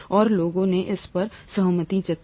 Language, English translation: Hindi, And people have, kind of, agreed on this